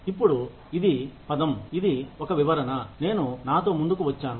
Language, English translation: Telugu, Now, this is the term, this is a description, that I have come up with myself